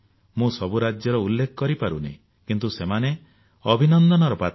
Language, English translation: Odia, I am not able to mention every state but all deserve to be appreciated